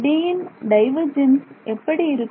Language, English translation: Tamil, So, what is divergence of D